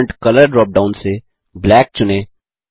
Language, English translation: Hindi, From the Font Color drop down, select Black